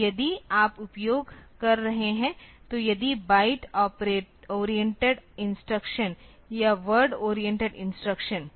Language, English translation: Hindi, So, if you are using; so if the byte oriented instructions or word oriented instructions